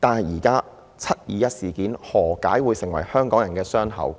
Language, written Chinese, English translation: Cantonese, 何解"七二一"事件會變成香港人的傷口？, Why is the 21 July incident a wound for Hong Kong people?